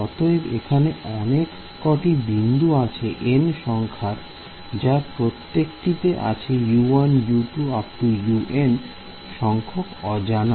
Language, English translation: Bengali, So, many nodes each one if there are n nodes each one is U 1 U 2 U 3 up to U n those are the unknowns right